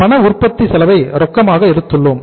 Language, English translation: Tamil, Cash manufacturing expense we have taken as cash